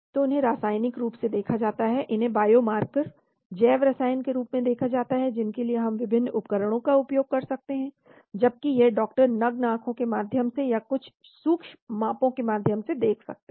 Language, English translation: Hindi, So these are seen chemically, these are seen as a biomarker, biochemically which we can use various tools to determine, whereas this doctor can see through the naked eyes or through certain microscopic measurements